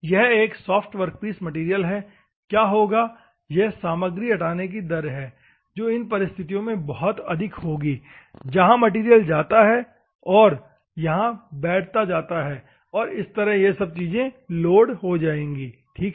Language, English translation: Hindi, This is a soft workpiece material what will happen there is material removal rate will be very high in that circumstances where the material goes, the material goes and sit here, and it will become all things will be loaded, ok